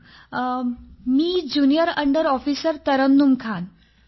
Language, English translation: Marathi, Sir, this is Junior under Officer Tarannum Khan